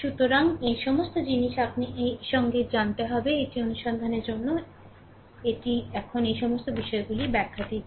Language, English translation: Bengali, So, all these things, you will be knowing with this right with this; this is for exploration this is for the explanation now all these things, ah right